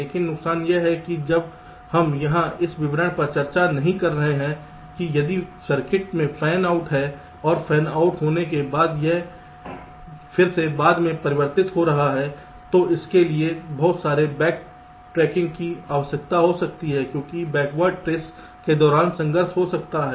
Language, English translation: Hindi, but disadvantage is that while here we are not discussing this, details that if the circuit has fan outs and after fan out it is again converging later, it may require lot of back tracking because there can be conflicts during backward trace